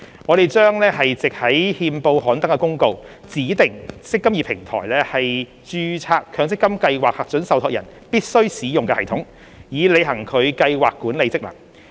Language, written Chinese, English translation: Cantonese, 我們將藉於憲報刊登的公告，指定"積金易"平台為註冊強積金計劃核准受託人必須使用的系統，以履行其計劃管理職能。, We will by notice published in the Gazette stipulate the mandatory use of the eMPF Platform by approved trustees of registered MPF schemes to conduct their scheme administration functions